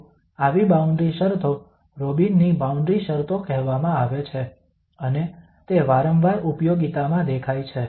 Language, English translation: Gujarati, So such boundary conditions are called Robin's boundary conditions and they again often appear in applications